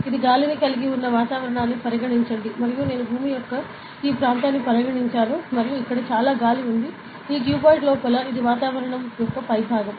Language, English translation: Telugu, So, consider the atmosphere it has air and I have considered this area of earth and this much air is over here, inside this cuboid ok, this is the top of atmosphere